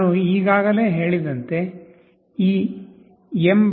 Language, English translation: Kannada, As I have already said, this mbed